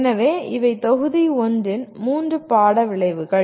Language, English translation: Tamil, So these are the three course outcomes of the module 1